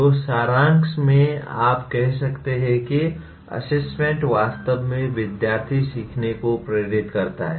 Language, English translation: Hindi, So in summary you can say assessment really drives student learning